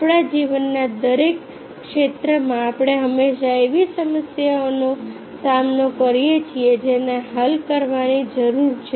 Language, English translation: Gujarati, in every sphere of our life we always face problems that needs to be solved